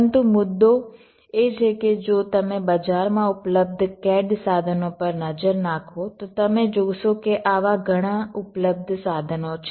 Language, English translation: Gujarati, but the issue is that if you look in to the available cad tools that there in the market, we will find that there are many such available tools